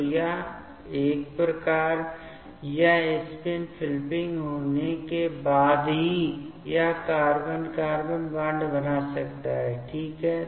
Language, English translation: Hindi, So, once this spin flipping happens then only, it can make this carbon carbon bond ok